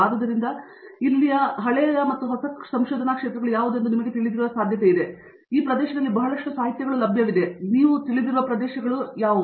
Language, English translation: Kannada, So, there’s a lot of literature available in these areas, but still these are areas that you know continued to be looked at